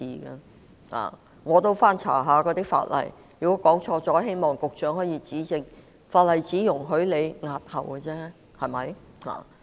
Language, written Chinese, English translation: Cantonese, 我也曾翻查法例——假如我說錯了，希望局長指正——法例只容許政府押後選舉，對嗎？, I have looked up the laws and find that―I hope the Secretary will correct me if I am wrong―the Government is only allowed to postpone an election under the law is that right?